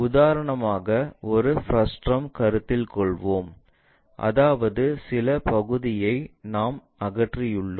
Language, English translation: Tamil, For example, let us consider a frustum; that means, some part we have removed it